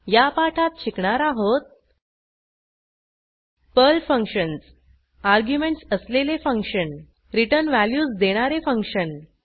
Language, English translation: Marathi, In this tutorial, we have learnt Functions in Perl functions with arguments and functions which return values using sample programs